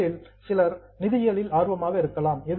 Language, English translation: Tamil, Some of you may be interested in finance